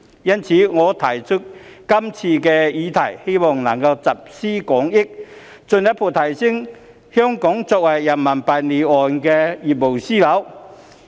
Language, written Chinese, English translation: Cantonese, 因此，我提出今次的議案，希望能夠集思廣益，進一步提升香港作為人民幣離岸業務樞紐的地位。, Therefore I propose this motion in the hope that we can draw on collective wisdom to further enhance Hong Kongs status as an offshore RMB business hub